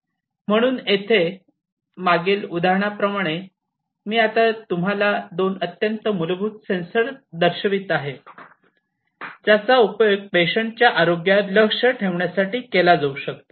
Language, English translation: Marathi, So, over here like the previous example, I am now going to show you two very fundamental sensors that can be used for monitoring the health of the patient